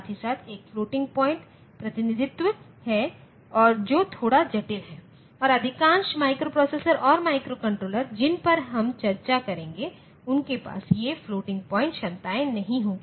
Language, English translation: Hindi, There is a floating point representation as well which is a bit complex and most of the microprocessors and microcontrollers that we will discuss; they will not have these floating point capabilities